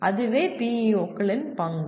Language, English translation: Tamil, That is the role of PEOs